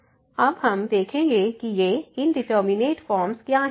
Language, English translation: Hindi, And what are the indeterminate forms